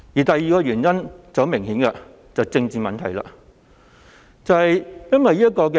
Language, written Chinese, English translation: Cantonese, 第二個原因很明顯是與政治相關。, The second reason is obviously related to politics